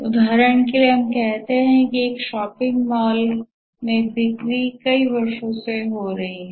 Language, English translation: Hindi, For example, let's say in a shopping mall sales is occurring over a number of years